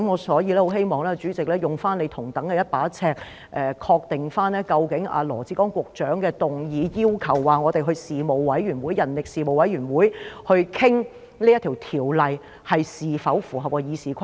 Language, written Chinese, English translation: Cantonese, 所以，我希望主席用同一把尺來確定，究竟羅致光局長的議案，要求交由人力事務委員會討論此《條例草案》，是否符合《議事規則》。, Therefore I urge President to use the same yardstick in determining whether it is in order for Secretary Dr LAW Chi - kwong to move the motion that the Bill be referred to the Panel on Manpower for discussion